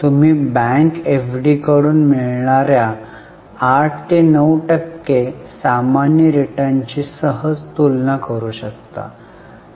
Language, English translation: Marathi, You can easily compare with normal returns which you get from bank FD which is 8 or 9 percent